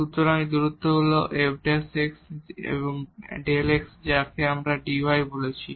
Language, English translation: Bengali, So, this distance is f prime x into delta x this is what we are calling as dy